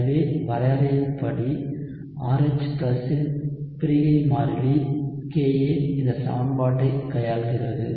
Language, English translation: Tamil, So by definition the dissociation constant Ka of RH+ deals with this equation